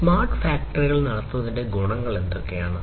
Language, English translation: Malayalam, So, what are the advantages of running smart factories